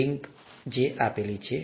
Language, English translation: Gujarati, The link is this